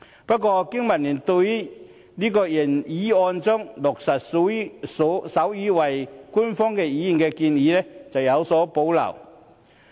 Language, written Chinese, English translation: Cantonese, 不過，經民聯對於原議案中落實手語為官方語言的建議則有所保留。, However BPA has reservation about the proposal in the original motion regarding making sign language an official language